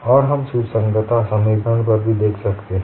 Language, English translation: Hindi, And we can also look at the equation of compatibility